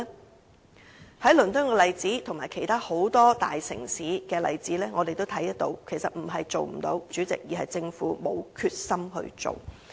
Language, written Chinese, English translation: Cantonese, 我們從倫敦的例子和其他很多大城市的例子皆看到，其實並非不可行，代理主席，只是政府沒有決心推動而已。, From the examples of London and other major cities we can see that this is actually not impossible Deputy President only that the Government lacks the determination to promote cycling